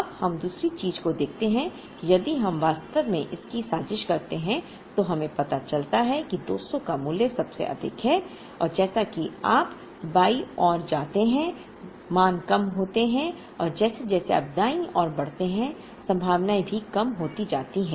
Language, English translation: Hindi, Now, let us look at the other thing that if we actually plot this, we realize that at 200 the value is the highest and as you move to the left, the values are lower and as you move to the right the probabilities are also lower